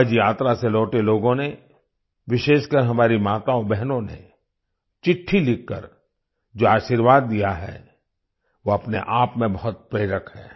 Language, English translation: Hindi, The blessing given by the people who have returned from Haj pilgrimage, especially our mothers and sisters through their letters, is very inspiring in itself